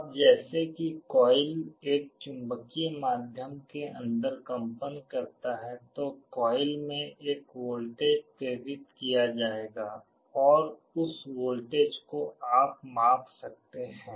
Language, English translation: Hindi, Now, as the coil vibrates inside a magnetic medium, a voltage will be induced in the coil and you can measure that voltage